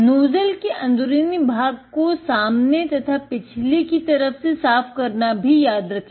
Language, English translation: Hindi, Remember to also clean the inside of the nozzle from the front and the back side